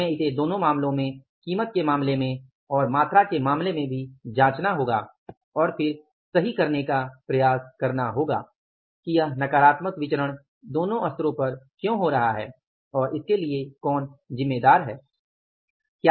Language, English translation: Hindi, We have to check it in both the cases in case of the price also, in case of the quantity also and then try to correct it that why this negative variance is occurring at both the levels and who is responsible for that